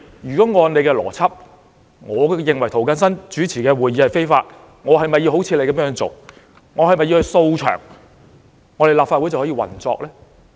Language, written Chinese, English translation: Cantonese, 按他們的邏輯，我認為涂謹申議員主持的會議是非法的，那我是否要像他們一樣"掃場"，立法會便可以運作呢？, Following their logic as I thought the meeting chaired by Mr James TO was unlawful should I storm the place as they did? . Would the Legislative Council be able to function then?